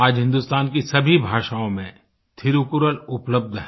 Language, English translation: Hindi, Today, Thirukkural is available in all languages of India